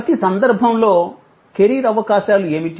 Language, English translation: Telugu, What are the career prospects in each case